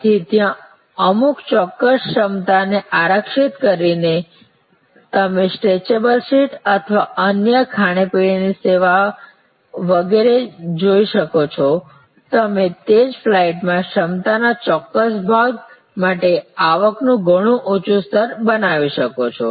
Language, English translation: Gujarati, So, there by reserving certain capacity with certain as you can see stretchable seat and other food and beverage service etc, you can create a much higher level of revenue for a particular part of the capacity in the same flight